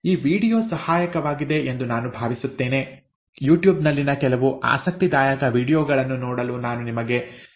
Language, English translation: Kannada, I hope this video has been helpful; I would also recommend you to go through some of the interesting videos on YouTube